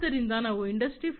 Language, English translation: Kannada, So, when we talk about industry 4